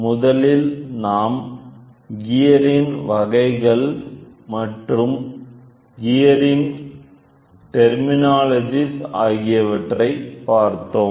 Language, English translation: Tamil, We first saw gear various types of gear then gear terminologies